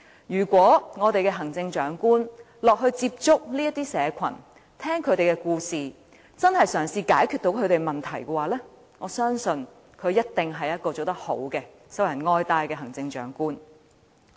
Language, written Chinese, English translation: Cantonese, 如果我們的行政長官落區接觸這些社群，聆聽他們的故事，真正嘗試解決他們的問題，我相信他一定是做得好，受人愛戴的行政長官。, If our Chief Executive is willing to get in contact with these groups of people in society and listen to their stories when he or she is visiting the districts and if he is willing to try to solve the problems for these people I believe he or she will do well as a Chief Executive who is loved and respected by the people